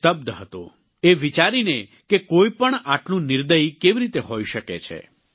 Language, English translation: Gujarati, He was left stunned at how one could be so merciless